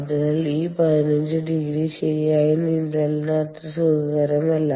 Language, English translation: Malayalam, so this fifteen degrees is not very comfortable for ah, for swimming, right